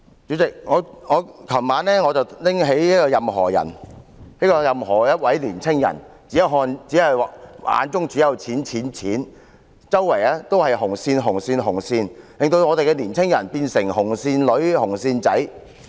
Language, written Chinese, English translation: Cantonese, 主席，我昨晚拿起"任何仁"，他是任何一位年青人，眼中只有錢、錢、錢，周圍都是紅線、紅線、紅線，令我們的年青人變成"紅線女"和"紅線仔"。, President I picked up Anybody and read it last night . He is a young man with only money money and money in his eyes . He is surrounded by red lines red lines and red lines